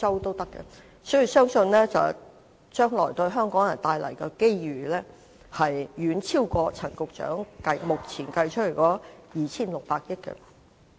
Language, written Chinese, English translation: Cantonese, 所以，我相信將來對香港人帶來的機遇會遠超過陳局長目前計算的 2,600 億元。, I thus believe that the economic opportunities that can be brought to Hong Kong people will be far beyond Secretary Frank CHANs estimated 260 billion